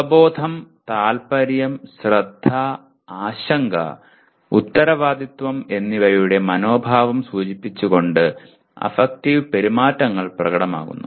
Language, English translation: Malayalam, The affective behaviors are demonstrated by indicating attitudes of awareness, interest, attention, concern, and responsibility